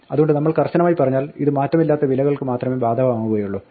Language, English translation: Malayalam, So strictly speaking this applies only to immutable values